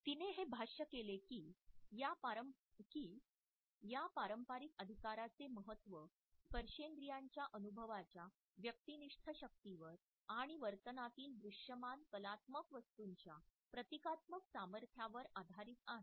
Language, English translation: Marathi, And she is commented that “the significance of this traditional right is based on the subjective power of the haptic experience and the symbolic potency of the visible tactual artifact in behavior”